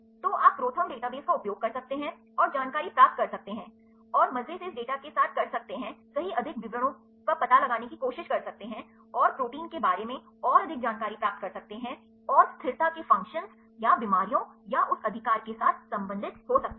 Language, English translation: Hindi, So, you can use the ProTherm database and, get the information and have fun with this data and try to explore right more details and more insides about protein stability and relate with the functions, or the diseases and that right